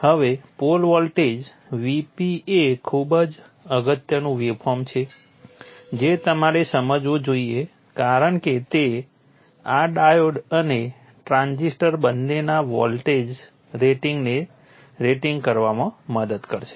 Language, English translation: Gujarati, Now the port voltage VP is a very important waveform that you should understand because it will help in the rating both voltage rating of both this diode and the transistor